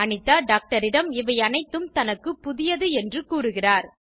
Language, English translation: Tamil, Anita tells the doctor that she is new to all this